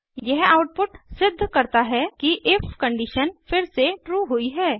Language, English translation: Hindi, This output proves that the if condition returned true